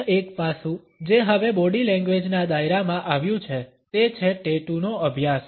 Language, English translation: Gujarati, Another aspect which has come under the purview of body language now is the study of tattoos